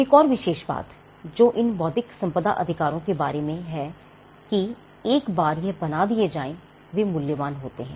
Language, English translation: Hindi, Another trait or something inherent in the nature of intellectual property right is that, these rights once they are created, they are valuable